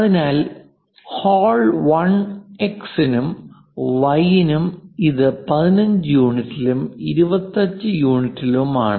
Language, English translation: Malayalam, So, for X for Y for 1, 1 it is at 15 units and it is at 25 units